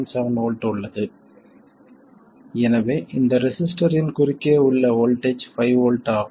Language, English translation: Tamil, So, the voltage across this resistor is 5 volts